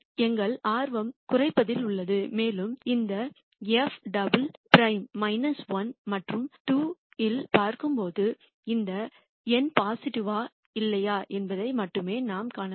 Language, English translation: Tamil, Our interest is in minimization and when we look at this f double prime at minus 1 and 2 the only thing we can look for is whether this number is positive or not